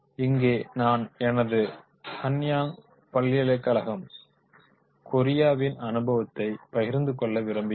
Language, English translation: Tamil, Now here I would like to share my experience with the Henang University Korea where I teach the session business